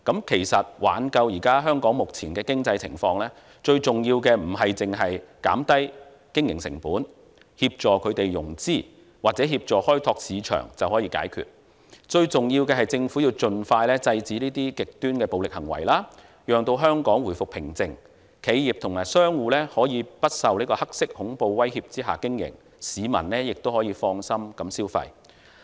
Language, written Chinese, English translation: Cantonese, 其實，挽救香港目前的經濟情況，最重要的不單是減低經營成本、協助融資或協助開拓市場便可以解決，最重要的是政府盡快制止極端暴力行為，讓香港回復平靜，企業及商戶可以不受"黑色恐怖"威脅下經營，市民亦可以放心消費。, In fact what matters most in saving Hong Kongs current economic situation is not reduction of operating costs assistance in securing financing or support for market exploration which cannot be the sole solution but rather that the Government stops extreme violence as soon as possible so that calm is restored in Hong Kong for enterprises and businesses to operate free from the threat of black terror and for the public to engage in spending with their minds at ease